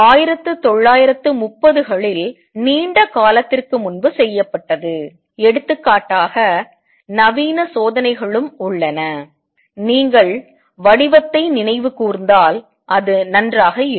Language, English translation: Tamil, This was done long ago in 1930s modern experiments are also there for example, if you recall form it was great